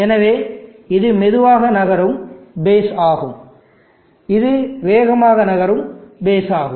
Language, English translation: Tamil, So this is a slow moving base, and this is a fast moving point